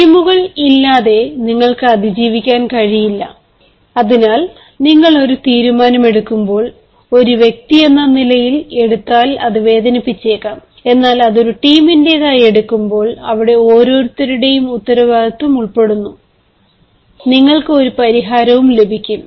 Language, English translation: Malayalam, it so happens that when you take a decision, it may hurt because you took it as an individual, but when you took it as a team, every ones responsibility is involved there and you can have solutions as well